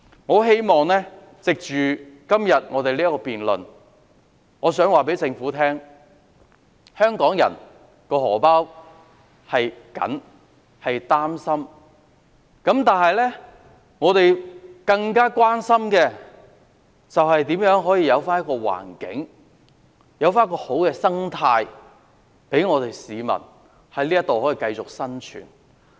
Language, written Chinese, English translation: Cantonese, 我希望藉着今天的辯論告訴政府，我們為香港人"荷包"緊張的情況擔心，我們更加關心，如何可營造一個環境、一個好的社會生態，讓市民在這裏繼續生活。, Taking the opportunity of the debate today I wish to tell the Government that we are concerned about the tight financial condition of the Hong Kong public and even more so about how to create a good environment and social ecology for people to continue with their lives here